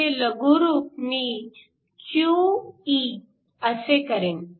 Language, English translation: Marathi, I am going abbreviate this s QE